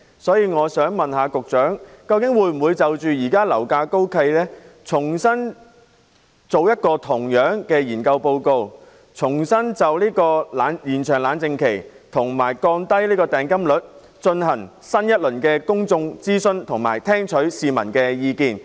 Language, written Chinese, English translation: Cantonese, 所以，我想問局長，當局會否因應現時樓價高企，重新進行同類的研究，就延長"冷靜期"及降低訂金率進行新一輪公眾諮詢，以聽取市民的意見。, Therefore I would like to ask the Secretary Will the authorities in response to the present high property prices conduct similar studies afresh and a new round of public consultation on extending the cooling - off period and lowering the deposit rate so as to receive public views in this regard?